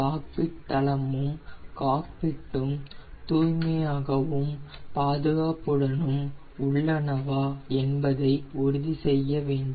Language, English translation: Tamil, now check cockpit floor assembly and cockpit for cleanliness, condition and security